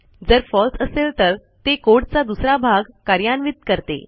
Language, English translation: Marathi, If it is False, it will execute another path of code